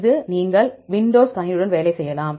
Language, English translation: Tamil, This you can work with the Windows system